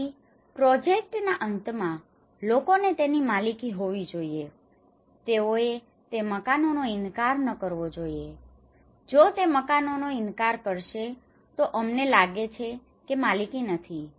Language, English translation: Gujarati, So in the end of the project people should own it they should not refuse that houses, if they refuse that houses we feel that there is no ownership